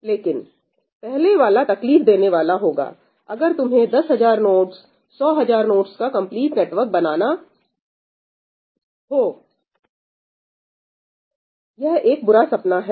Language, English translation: Hindi, the first one will become a pain, if you want to build a complete network over ten thousand nodes, hundred thousand nodes, it is a nightmare